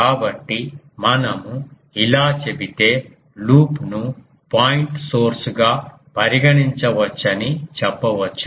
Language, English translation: Telugu, So, if we say this then we can say that the loop may be treated as a point source